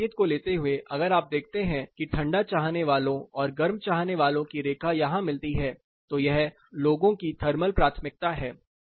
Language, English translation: Hindi, Taking this clue, if you see the need cooler and need warmer line meet, this particular thing is probably the thermal preference of people